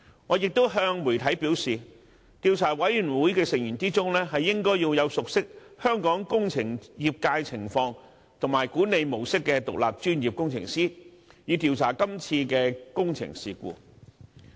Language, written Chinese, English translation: Cantonese, 我亦向媒體表示，調查委員會的成員應為熟悉香港工程業界情況和管理模式的獨立專業工程師，以助調查今次的工程事故。, I once told the media that members of the Commission of Inquiry should be independent professional engineers who are familiar with the situation and the management of Hong Kongs engineering industry to facilitate the investigation of this engineering incident